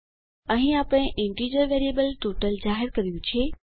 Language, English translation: Gujarati, Here we have declared an integer variable total